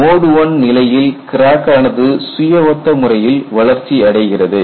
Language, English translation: Tamil, In mode one, the crack growth is self similar